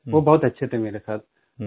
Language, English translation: Hindi, They were very nice to me